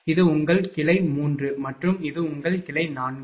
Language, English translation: Tamil, Suppose this is your branch 3 and this is your branch 4